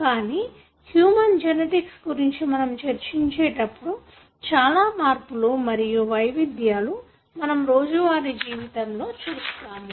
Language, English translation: Telugu, But, when you discuss about human genetics, there are many changes or forms of expressions that you would see in day to day life